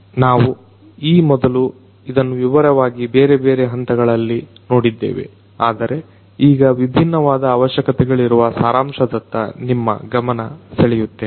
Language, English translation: Kannada, We have looked at it in different levels of detail earlier, but now I am going to expose you to the summary of the different requirements that are there